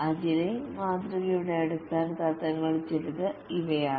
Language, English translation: Malayalam, These are some of the very fundamental principles of the Agile Model